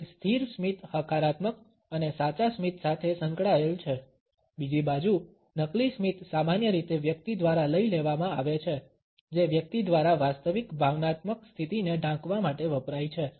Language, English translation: Gujarati, A lingering smile is associated with a positive and a genuine smile, on the other hand a fake smile is normally taken up by a person, used by a person to cover the real emotional state